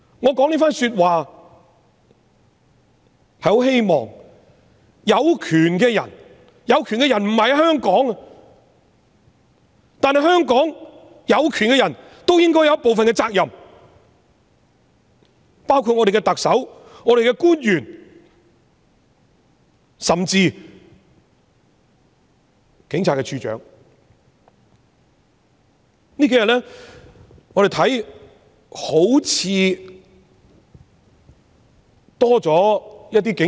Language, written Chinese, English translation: Cantonese, 我說這番說話是很希望有權的人——有權的人不在香港——但在香港有權的人也應該有部分責任，包括特首、官員甚至是警務處處長。, I made these remarks in the hope that the people in power―the people in power are not in Hong Kong―but those in power in Hong Kong including the Chief Executive the officials and even the Commissioner of Police should take up some responsibilities